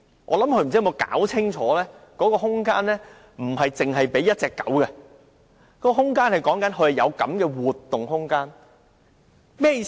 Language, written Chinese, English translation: Cantonese, 我想她沒有弄清楚，那空間不是只給1隻狗活動，而是指活動空間大小。, I think she might not fully understand this requirement . The said area is not meant for the exclusive use of one dog; instead it means the space available for the dog to move around